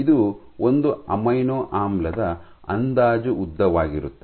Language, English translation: Kannada, This is the rough length of one amino acid